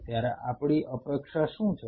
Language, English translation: Gujarati, What is our anticipation